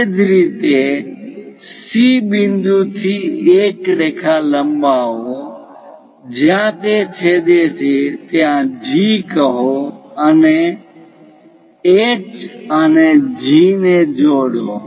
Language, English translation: Gujarati, Similarly, from C point extend a line where it is going to intersect, call that one as G join H and G